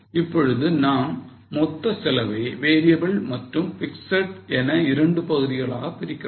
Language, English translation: Tamil, Now we divide this total cost into two components, variable and fixed